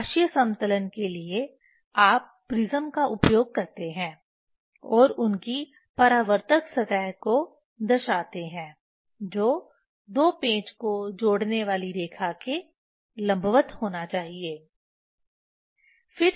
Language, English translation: Hindi, For optical leveling, you use the prism and reflecting their reflecting surface that has to be perpendicular to the line joining two screws